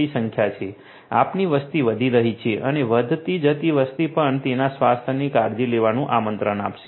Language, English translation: Gujarati, We have a growing population and growing population also will invite you know taken care of their health